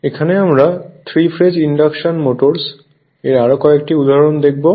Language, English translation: Bengali, So, this is starter of 3 phase induction motor